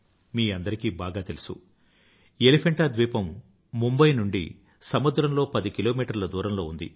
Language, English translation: Telugu, You all know very well, that Elephanta is located 10 kms by the sea from Mumbai